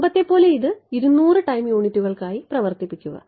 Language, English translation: Malayalam, And as before run it for 200 time units